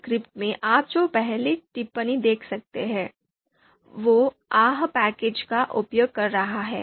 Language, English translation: Hindi, So you can see the first comment that you can see in this script is using ahp package